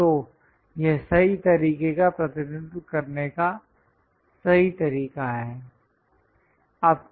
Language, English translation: Hindi, So, this is right way of representing correct way